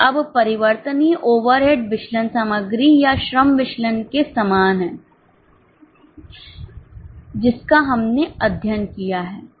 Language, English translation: Hindi, Now variable overhead variances are pretty similar to the material or labour variances which we have studied